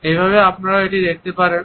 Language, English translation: Bengali, That is how you can see it